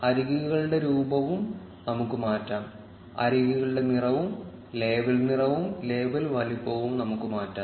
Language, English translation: Malayalam, We can also change the appearance of the edges; we can change the color, the label color and the label size of the edges